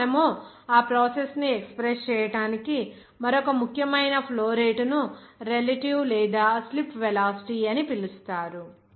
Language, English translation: Telugu, Now, another important flow rate by which you can express that process, it will be called as relative or slip velocity